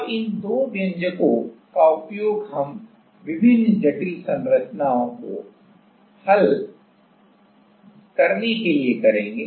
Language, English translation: Hindi, Now these two expression, we will use for solving different complicated structures